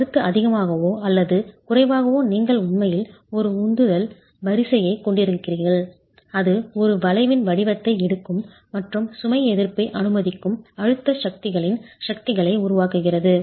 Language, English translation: Tamil, The concept is more or less the same, that you actually have a thrust, a thrust line that is developing of the forces of the compressive forces which takes the form of an arch and allows for load resistance